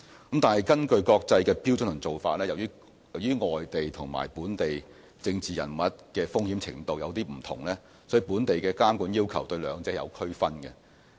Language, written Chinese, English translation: Cantonese, 不過，根據國際標準和做法，由於外地和本地政治人物的風險程度不同，所以本地的監管要求對兩者也有區分。, However according to international standards and practices the risk levels of political figures overseas and that of local political figures are different and thus the two are subject to separate regulatory requirements in Hong Kong